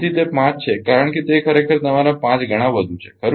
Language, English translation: Gujarati, So, it is 5 because it is your 5 times more actually right